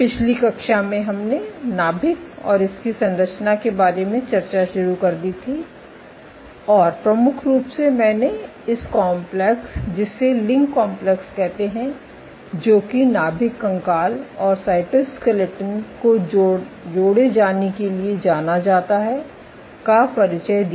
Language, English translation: Hindi, So, in the last class we had started discussing about the nucleus and its structure and majorly I introduced, this complex called LINC complex which stands for linker of nucleus skeleton and cytoskeleton ok